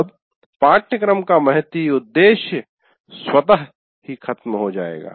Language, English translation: Hindi, Then the very purpose of the course itself is lost